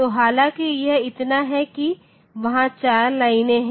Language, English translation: Hindi, So, though it is so there are 4 lines